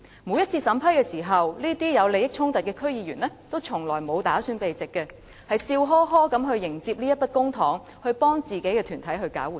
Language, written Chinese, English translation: Cantonese, 每次審批時，這些有利益衝突的區議員從來不打算避席，而是笑呵呵地迎接這筆公帑，用作為自己的團體搞活動。, In every vetting and approval of funding applications these DC members with conflict of interest have no intention to withdraw from the meeting and they will accept the public money merrily for use in organizing events for their own organizations